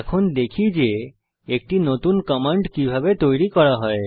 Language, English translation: Bengali, Lets take a look at how a new command is created